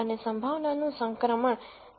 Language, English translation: Gujarati, And the transition of the probability at 0